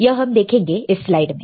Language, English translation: Hindi, So, let us see the slide